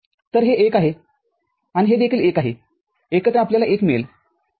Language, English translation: Marathi, So, this is 1 and this also 1 together you get 1, ok